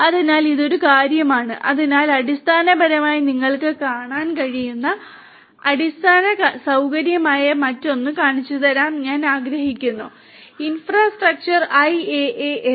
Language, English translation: Malayalam, So, this is one thing and so I would also like to show you another one which is so this basically you know this is a this one is basically the infrastructure that you are able to see; infrastructure IaaS